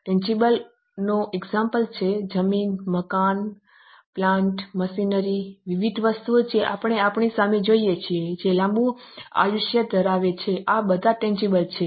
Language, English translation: Gujarati, Tangible example are land, building, plant, machinery, variety of things which we see in front of us which are going to have a longer life